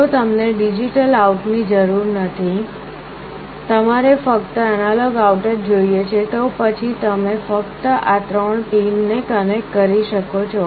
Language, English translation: Gujarati, If you do not require the digital out you want only the analog out, then you can only connect these three pins